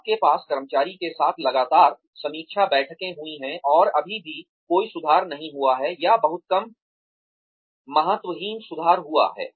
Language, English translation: Hindi, You have had constant review meetings with the employee, and there is still, no improvement, or very little minor insignificant improvement